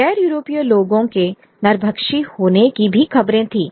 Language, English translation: Hindi, There were also reports of non Europeans as cannibals